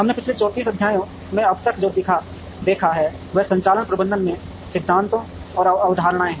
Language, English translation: Hindi, What we have seen so far in the earlier 34 lectures are principles and concepts in operations management